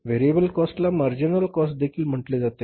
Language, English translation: Marathi, Variable cost is called as the marginal cost also